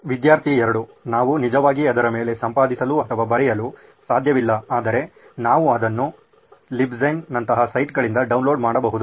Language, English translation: Kannada, We cannot actually edit or write on top of it but we can just download it from sites like LibGen